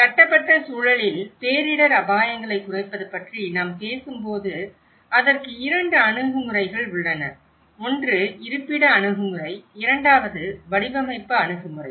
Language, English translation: Tamil, When we talk about the reducing disaster risks in the built environment, there are 2 approaches to it; one is the location approach, the second one is the design approach